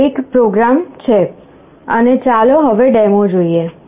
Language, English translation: Gujarati, This is the program, and let us see the demo now